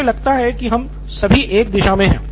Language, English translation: Hindi, I think we are all in the same circle